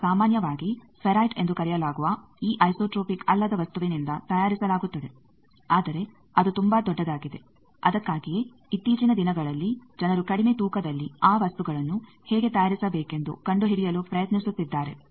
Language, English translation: Kannada, That is made generally of this non isotropic material called ferrite, but that is very bulky that is why nowadays people are trying to find out how to make in the low weight those things